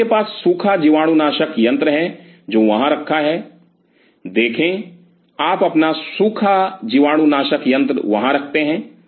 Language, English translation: Hindi, So, you have the dry sterilizer sitting out there; see you keep your dry sterilizer there